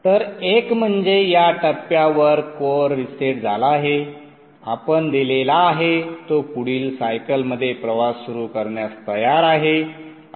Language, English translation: Marathi, So once the core is reset at this point here again it is ready to begin its journey in the next cycle